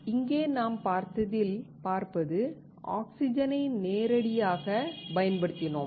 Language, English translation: Tamil, You see, here we have used oxygen directly